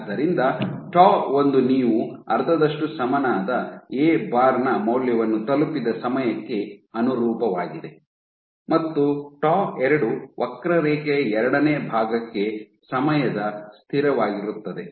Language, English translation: Kannada, So, tau 1 corresponds to the time at which you have reached a value of A bar equal to half and tau 2 is the time constant for the second portion of the curve